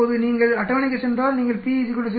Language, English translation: Tamil, Now if you go to table you go to p is equal to 0